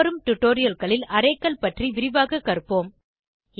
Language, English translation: Tamil, We will learn about arrays in detail in the upcoming tutorials